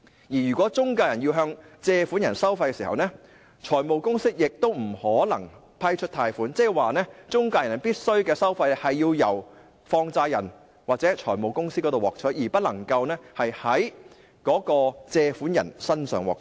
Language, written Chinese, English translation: Cantonese, 如果中介公司要向借款人收費，財務公司亦不能批出貸款，即是中介公司的收費必須從放債人或財務公司獲取，而不能夠在借款人身上獲取。, If the intermediaries should levy charges on borrowers the finance companies will be prohibited from approving the loans . In other words intermediaries must levy charges on money lenders or finance companies not borrowers